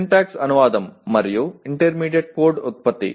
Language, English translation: Telugu, Syntax directed translation and intermediate code generation